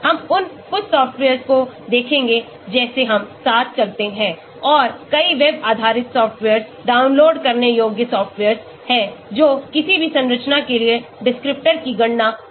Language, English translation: Hindi, we will look at some of those softwares as we go along and there are many web based softwares, downloadable softwares which can calculate descriptors for any given structure